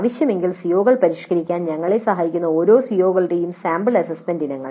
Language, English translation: Malayalam, Then sample assessment items for each one of the COs that helps us if required to define the COs